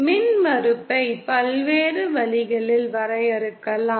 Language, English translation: Tamil, The impedance can be defined in various ways